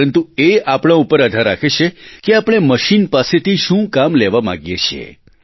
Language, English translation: Gujarati, It entirely depends on us what task we want it to perform